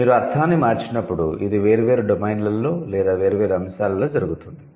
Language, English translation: Telugu, So when you say change the meaning, it also happens at different domains or different layers